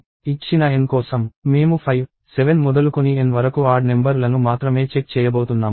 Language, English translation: Telugu, For given N, I am going to check only odd numbers starting from 5, 7 and so on up till N